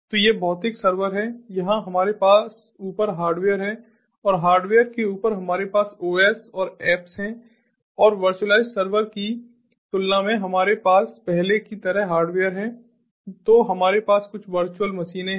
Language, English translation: Hindi, here we have the hardware on top of ah, that on top of hardware we have the os and the apps and, in comparison, in the virtualized server we have hardware as before